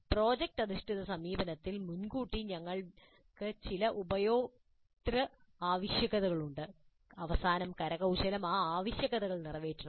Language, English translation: Malayalam, In project based approach, upfront we are having certain user requirements and at the end the artifact must satisfy those requirements